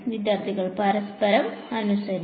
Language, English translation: Malayalam, According to each other